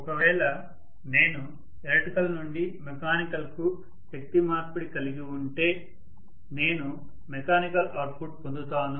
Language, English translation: Telugu, So if I am having electrical to mechanical energy conversion, I am going to have the mechanical output ultimately